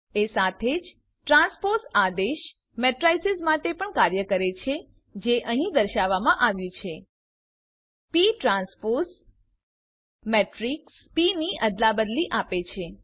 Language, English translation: Gujarati, The transpose command works for the matrices as well as shown here#160: p transpose gives the transpose of matrix p